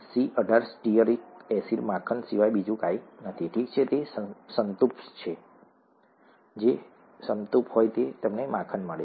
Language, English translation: Gujarati, C18 stearic acid is nothing but butter, okay, it is saturated; if it is saturated you get butter